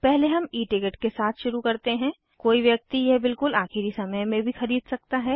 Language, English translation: Hindi, First we will begin with E ticket one can buy this at the last minute also